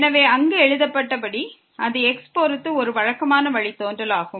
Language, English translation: Tamil, So, as written there it is a usual derivative with respect to